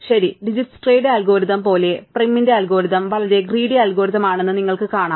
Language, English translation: Malayalam, Well, you can see that like Dijkstra's algorithm, prim's algorithm is a very greedy algorithm, right